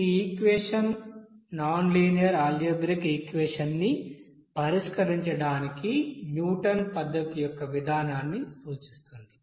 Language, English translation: Telugu, This equation represents the procedure of Newton's method for solving nonlinear algebraic equation